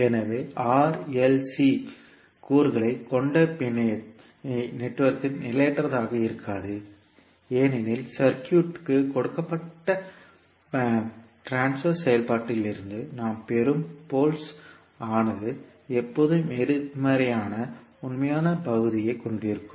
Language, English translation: Tamil, So that means that, in the network which contains R, L and C component will not be unstable because the pole which we get from the given transfer function of circuit will have always negative real part